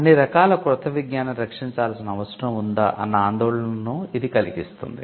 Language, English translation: Telugu, Now, that may raise a concern that should all new knowledge be protected